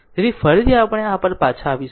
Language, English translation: Gujarati, So, again we will come back to this